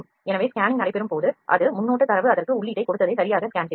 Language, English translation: Tamil, So, when scanning would take place it will scan the exactly what the preview data has given the input into that